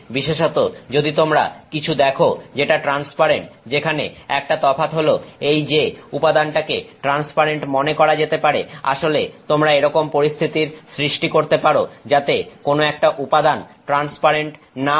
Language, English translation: Bengali, In particular if you look at something that is transparent where the expectation is that the material is supposed to be transparent, you can actually create situations where that material is not transparent